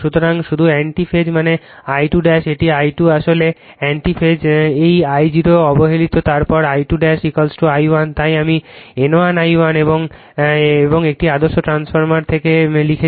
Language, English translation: Bengali, So, just in anti phase that means, I 2 dash an I 2 actually in anti phase is this I 0 is neglected then then I 2 dash is equal to your I 1 that is why I wrote N 1 I 1 is equal to and from an ideal transformer, right